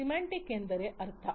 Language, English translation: Kannada, Semantics means, meaning